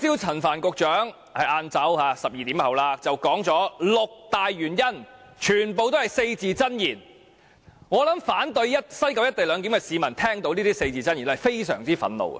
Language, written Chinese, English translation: Cantonese, 陳帆局長在今天中午大約12時提出了六大原因，當中全部也是四字真言，但我相信如果反對西九"一地兩檢"的市民聽到他的四字真言，會感到相當憤怒。, Secretary Frank CHAN put forward six major reasons at about 12 oclock noon today . All of them were expressed in four - character phrases in Chinese . But I believe if people opposing the co - location arrangement in West Kowloon hear those phrases they will feel quite angry